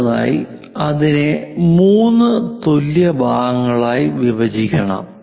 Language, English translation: Malayalam, We have to divide that into three equal parts